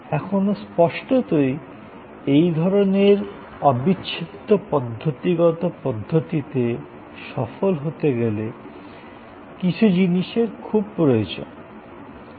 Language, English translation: Bengali, Now; obviously to be successful in this kind of integral systemic approach, certain things are very necessary